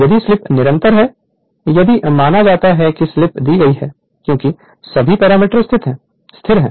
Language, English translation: Hindi, If slip is constant if you suppose slip is given, because all are the parameters will remain constant